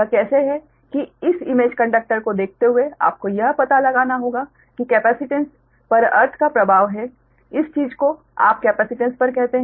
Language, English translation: Hindi, this is that, considering this image conductor, you have to find out what is the effect of the earth on the capa, this thing, what you call on the capacitance, right